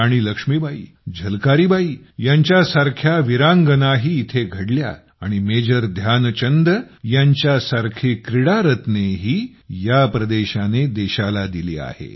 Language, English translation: Marathi, Veeranganas, brave hearts such as Rani Laxmibai and Jhalkaribai hailed from here…this region has given to the country legendary sports persons like Major Dhyanchand too